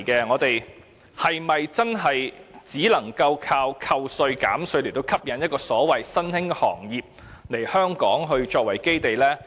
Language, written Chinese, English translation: Cantonese, 我們是否真的只能單靠寬減稅項，吸引所謂的新興行業以香港作為基地？, Can we rely on the provision of tax concessions alone to attract the so - called new industries to use Hong Kong as their base?